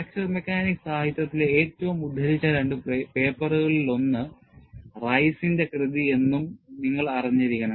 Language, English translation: Malayalam, And, you should also know, Rice's work is one of the two most quoted papers, in all of the fracture mechanics literature